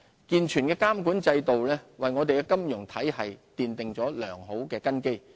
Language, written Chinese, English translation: Cantonese, 健全的監管制度為我們的金融體系奠定良好根基。, A sound regulatory regime is the cornerstone of our financial system